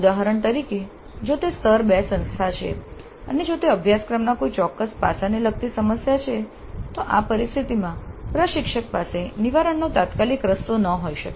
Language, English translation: Gujarati, For example if it is a tire to institute and if it is an issue related to certain aspect of the syllabus then the instructor may not have an immediate way of remedying that situation